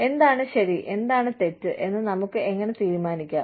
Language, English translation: Malayalam, How do we take a decision, as to, what is right, and what is wrong